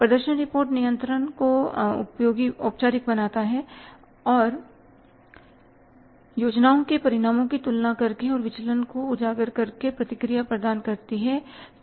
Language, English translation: Hindi, Performance reports formalize control and provide feedback by comparing the results with plans and by highlighting the variances